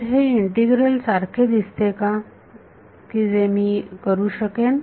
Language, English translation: Marathi, So, does this look like an integral that I can do